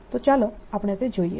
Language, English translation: Gujarati, so let us have a look at that